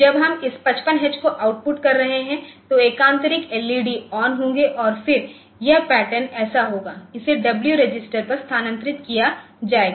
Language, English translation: Hindi, Then we are outputting this 55 x, so, that is for the alternating LEDs will be on alternate LEDs will be on and then this pattern so, this is moved on to the W register